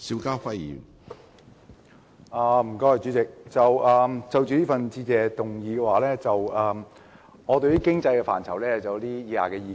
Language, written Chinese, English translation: Cantonese, 主席，就着這項致謝議案，我對於經濟範疇有以下意見。, President in regard to the Motion of Thanks I have the following views concerning the policy area of economic development